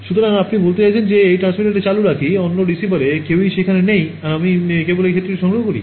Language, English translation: Bengali, So, you are saying that I keep this transmitter on, none of the other receivers are there and I just collect this field